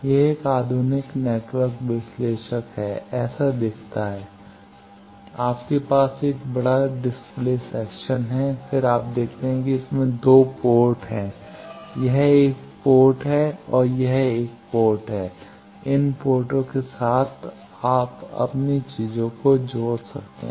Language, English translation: Hindi, This is a modern network analyzer looks like this, you have a large display section, then you see the ports it has 2 ports; this is 1 port, this is another port, with these ports you can connect your things